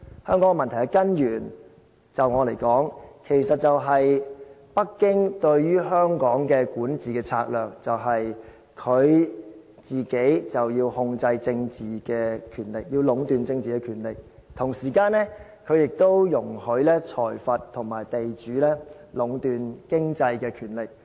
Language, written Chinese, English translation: Cantonese, 香港問題的根源，對我來說，就是北京對香港的管治策略：它要控制政治權力，要壟斷政治權力，同時間它亦容許財閥和地主壟斷經濟的權力。, My personal view is that the root cause of these problems must be Beijings strategy of governing Hong Kong . Beijing wants to keep and in fact monopolize all the political power and at the same time it also allows plutocrats and landowners to monopolize all the economic power